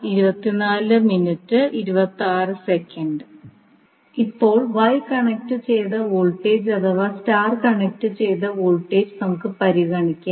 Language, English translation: Malayalam, Now, let us consider the star connected that is wye connected voltage for now